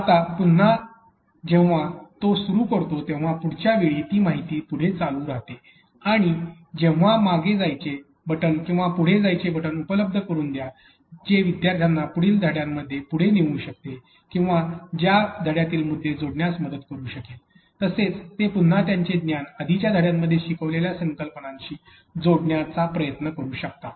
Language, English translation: Marathi, But again, while she continues or it continues to the next time next a piece of information remember to put they buttons like back button or next button that allows the student to be able to move or to progress to the next units or to be previous unit trying to connect the points in between the units, but again trying to connects their knowledge or the concepts that have been taught in the previous unit to the next unit